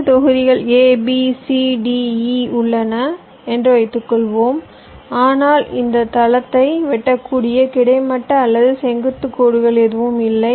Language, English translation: Tamil, suppose there are five blocks a, b, c, d, e but there is no continues horizontal or vertical lines that can slice this floorplans